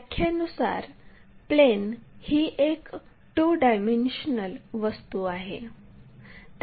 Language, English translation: Marathi, Plane by definition is a two dimensional object